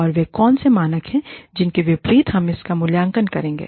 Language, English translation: Hindi, And, what are the standards against which, we will evaluate this